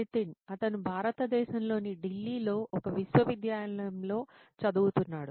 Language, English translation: Telugu, He is studying at a university in Delhi, India